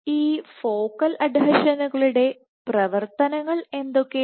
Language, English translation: Malayalam, What do focal adhesions do